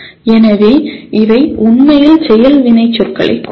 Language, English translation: Tamil, So these represent really action verbs